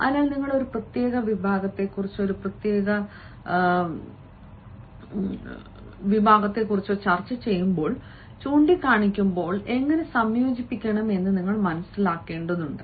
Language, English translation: Malayalam, so when you are pointing, when you are discussing a particular segment or a particular section, you need to understand how to integrate